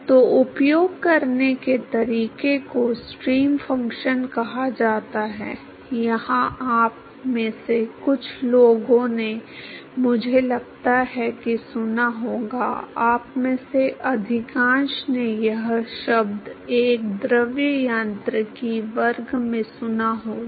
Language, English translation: Hindi, So, the way to use is called the stream function, here some of you must have heard I think, most of you must have heard this word in a fluid mechanics class